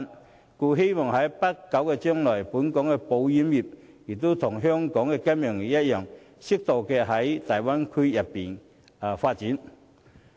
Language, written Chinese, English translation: Cantonese, 故此，我希望在不久將來，本港的保險業能與金融業一樣，適度在大灣區發展。, Therefore I hope that in the near future our insurance industry will be allowed to develop their business in the Bay Area moderately as in the case of the financial industry